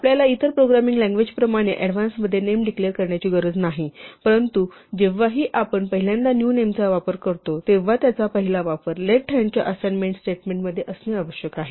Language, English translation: Marathi, We do not have to announce names in advance like other programming languages, but whenever we first use a new name; its first use must be in an assignment statement on the left hand side